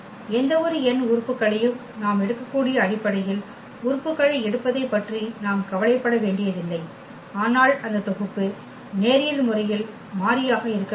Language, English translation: Tamil, Another beautiful result that we do not have to worry about picking up the elements for the basis we can take any n elements, but that set should be linearly independent